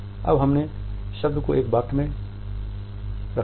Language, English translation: Hindi, We put the word in a sentence